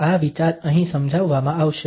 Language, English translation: Gujarati, The idea will be explained here